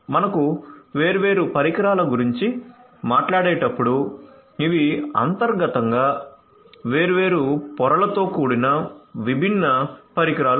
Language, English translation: Telugu, So, when you talk about different devices these are the different devices that internally are composed of different different layers